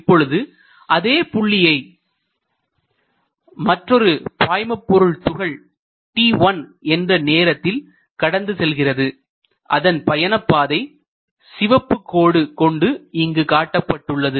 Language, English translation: Tamil, Let us say there is another fluid particle which has passed through this at time equal to t1 and let us say that this red line represents it locus